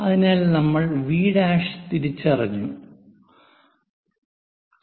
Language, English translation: Malayalam, So, we have identified V prime